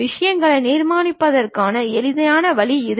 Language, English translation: Tamil, This is the easiest way of constructing the things